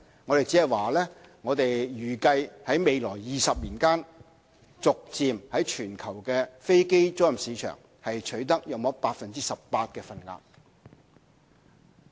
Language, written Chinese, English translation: Cantonese, 我們只是預計在未來20年間，逐漸在全球飛機租賃市場取得約 18% 的份額。, We estimate that Hong Kong can gradually capture up to about 18 % of aircraft leasing business in the global aircraft leasing market in 20 years time